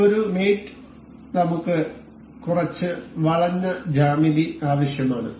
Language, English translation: Malayalam, And we need to import some curved geometry